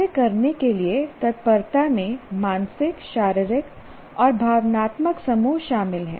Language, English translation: Hindi, See, readiness to act includes mental, physical and emotional sets